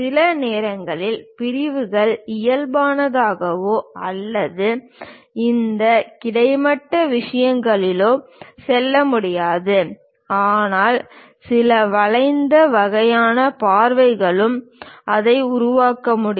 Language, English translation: Tamil, Sometimes sections can go neither normal nor on this horizontal things; but some bent kind of views also one can make it